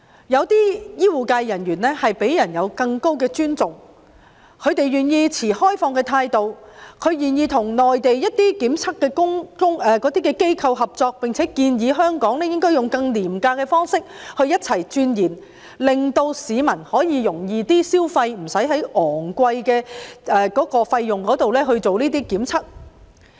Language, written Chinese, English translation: Cantonese, 有些醫護人員獲得更高的尊重，他們願意持開放態度，與內地檢測機構合作，並且建議香港應採用更廉宜的方式，與內地一同鑽研，令市民可以更容易負擔，無須支付昂貴的費用進行檢測。, Some healthcare personnel have earned greater respect . They are willing to adopt an open attitude and cooperate with Mainland testing laboratories . They also propose that Hong Kong should adopt less expensive methods and conduct research in collaboration with the Mainland thereby making the tests more affordable to the public so that people will not have to spend big bucks on tests